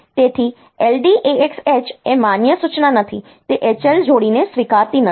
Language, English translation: Gujarati, So, LDAX H is not a valid instruction, it does not accept the H L pair